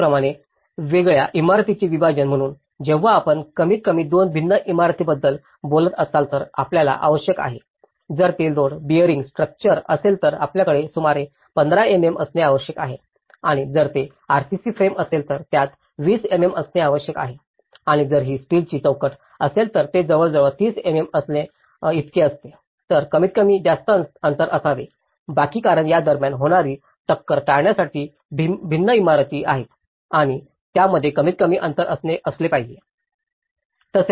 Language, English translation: Marathi, Similarly, the separation of dissimilar buildings so, when you are talking about the two different buildings at least, you need to; if it is a load bearing structure, you should have about 15 mm and if it is RCC frame, it should be have 20 mm and if it is a steel frame, it is about 30 mm so, at least this much gap should be left because in order to avoid the collision between these are dissimilar buildings and that should have a minimum gap